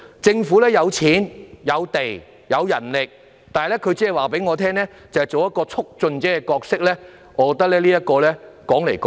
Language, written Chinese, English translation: Cantonese, 政府有資金、土地，也有人力，卻只跟我們說擔當一個促進者的角色，我認為怎樣也說不通。, The Government has fund land and also manpower however it only tells us that it will play the role of a promoter I think this is entirely unacceptable